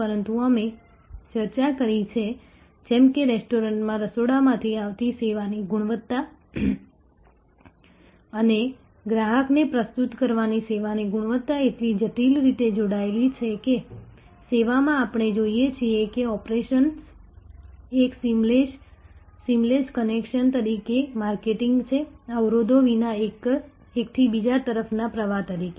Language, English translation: Gujarati, But, we have discussed the just as in a restaurant the quality of the service coming in from the kitchen and quality of the service in presenting that to the customer are so intricately linked, that in service we see operations are marketing as a seamless connection, as a flow from one to the other without having silos, without having barriers